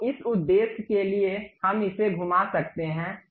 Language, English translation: Hindi, So, for that purpose, we can really rotate this